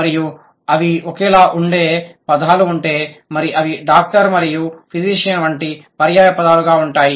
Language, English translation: Telugu, And if there are words which are identical and they are synonyms, something like doctor and physician